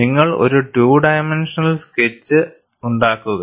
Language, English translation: Malayalam, You make a two dimensional sketch